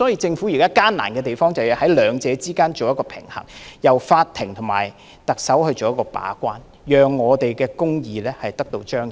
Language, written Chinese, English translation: Cantonese, 政府現在的難處是要在兩者之間取得平衡，由法庭和特首把關，讓公義得到彰顯。, The problem currently encountered by the Government is how to strike a balance between the two and let the courts and the Chief Executive act as gatekeepers so that justice can be manifested